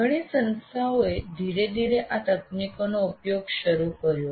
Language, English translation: Gujarati, And many institutes are slowly started using these technologies